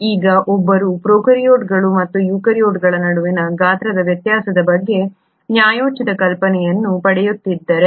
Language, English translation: Kannada, Now if one were to get a fair idea about the size difference between the prokaryotes and eukaryotes